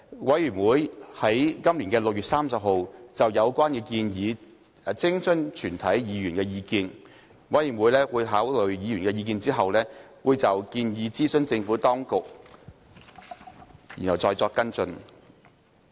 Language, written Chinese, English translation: Cantonese, 委員會已於今年6月30日就有關建議徵詢全體議員的意見，委員會在考慮議員的意見後，會就建議諮詢政府當局，然後再作跟進。, The Committee sought the views of all Members on 30 June this year on the proposal concerned . After considering Members views the Committee will consult the Administration and follow up the issue